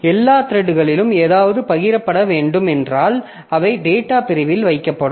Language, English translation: Tamil, And if there is something to be shared across all the threads, so they will be put onto the data segment